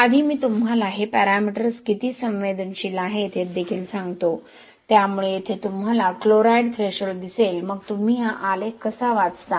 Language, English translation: Marathi, Before that let me also tell you how sensitive this parameters are, so here you can see the chloride threshold, so how you read this graph is